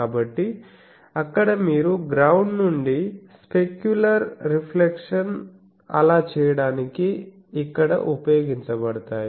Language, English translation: Telugu, So, there you the specular reflections from the ground are utilized here to do that